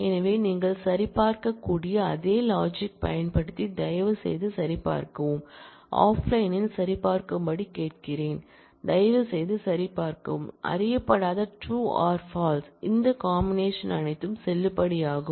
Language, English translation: Tamil, So, using that same logic you could see verify, I would ask you to verify offline at home you please verify, that all these combinations of true false with unknown are valid